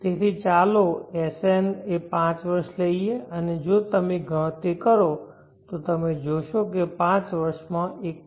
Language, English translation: Gujarati, So let us take SN 5 years and if you calculate you will see that it is 1